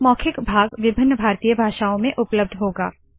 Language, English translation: Hindi, The spoken part will be available in various Indian Languages